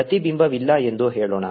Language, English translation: Kannada, let us say there is no reflection